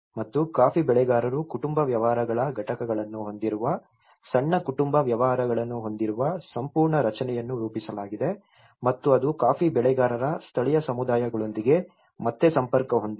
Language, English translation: Kannada, And the whole structure has been framed where the coffee growers they have the constituents of family businesses a small family businesses and which are again linked with the coffee growers local communities